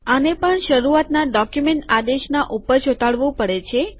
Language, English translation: Gujarati, This also has to be pasted above the begin document command